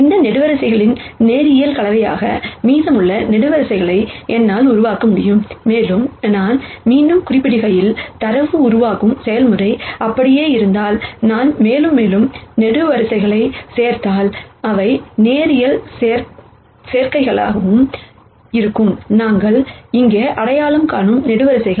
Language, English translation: Tamil, So that I can generate the remaining columns as a linear combination of these columns, and as I have been mentioning again, if the data generation process remains the same as I add more and more columns to these, they will also be linear combinations of the columns that we identify here